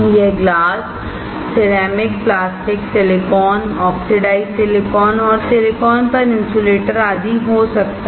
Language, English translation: Hindi, It can be glass, ceramic, plastic, silicon, oxidized silicon, insulator on silicon etc